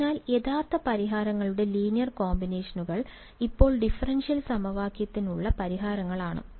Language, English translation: Malayalam, So, linear combinations of the original solutions are still solutions to the differential equation right